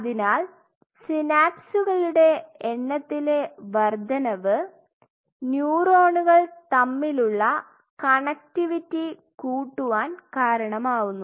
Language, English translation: Malayalam, So, increase in number of synapses further, what this will lead to connectivity between neurons increases right ok